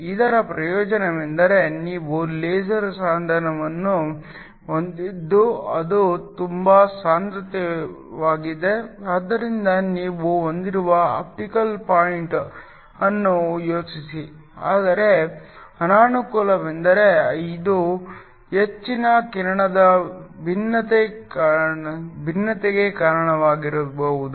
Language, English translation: Kannada, The advantage of this is that you can have a laser device that is very compact so think of the optical point is that you have, but the disadvantage is that it can lead to a high beam divergence